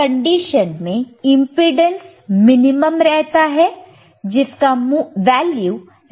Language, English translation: Hindi, iImpedance in this condition is minimum, which is resistance R